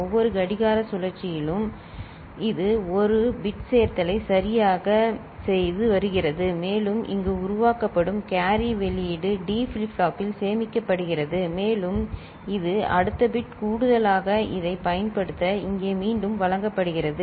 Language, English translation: Tamil, In every clock cycle it is doing a one bit addition right and the carry output of it that is generated here is stored in a D flip flop and this is fed back here for use it in the next bit addition